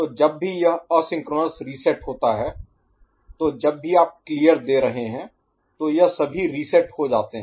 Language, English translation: Hindi, So, whenever this is asynchronous reset, so whenever you are giving this clear so it become all reset ok